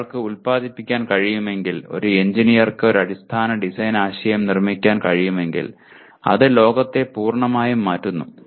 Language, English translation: Malayalam, If one can produce, if an engineer can produce a fundamental design concept it just changes that line of world completely